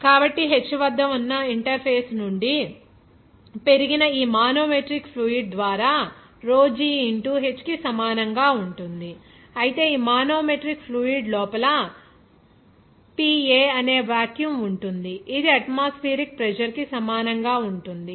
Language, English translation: Telugu, So, it will be is equal to that rho g into h that is given by this manometric fluid rised from this interface that is at h whereas inside this that manometric fluid, there will be a vacuum that will be PA will be equal to atmospheric pressure will be is equal to 0